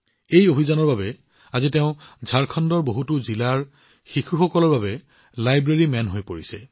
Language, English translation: Assamese, Because of this mission, today he has become the 'Library Man' for children in many districts of Jharkhand